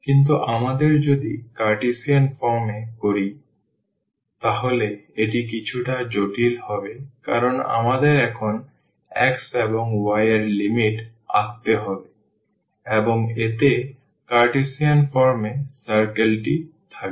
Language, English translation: Bengali, But if we do in the Cartesian form, then there will be little it will be little bit complicated because we have to now draw the limits of the x and y and that will contain the circle in the in the Cartesian form